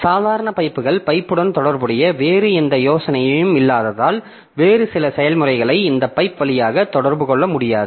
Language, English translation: Tamil, So the ordinary pipes, since there is no other ID associated with the pipe, you cannot have some other process communicate via this pipe